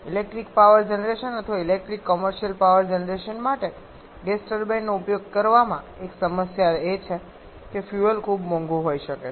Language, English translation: Gujarati, One problem with electrical power generation or using gas turbine for electric commercial power generation is that the fuel can be very costly